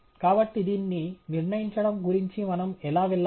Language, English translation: Telugu, So, how do we go about determining it